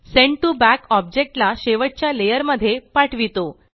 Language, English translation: Marathi, Send to Back sends an object to the last layer